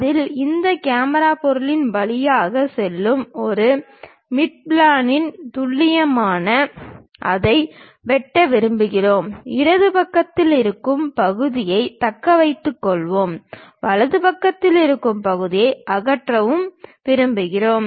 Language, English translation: Tamil, On that we will like to slice it precisely at a mid plane passing through this camera object and we will like to retain the portion which is on the left side and remove the portion which is on the right side